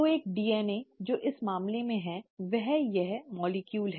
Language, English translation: Hindi, So a DNA which is, in this case, is this molecule